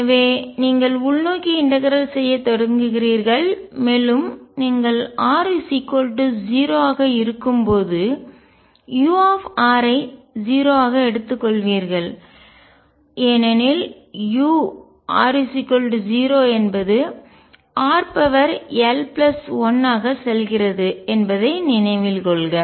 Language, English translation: Tamil, So, you start integrating inward and you also take u r to be 0 at r equals 0 because recall that u near r equals 0 goes as r raise to l plus 1